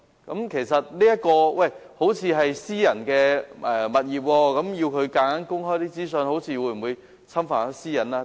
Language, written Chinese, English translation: Cantonese, 有人或會說，這些是私人物業，強行要求它們公開資訊，會否侵犯私隱？, Some people may question that as these are private properties will it constitute infringement on privacy if they are forced to make public such information?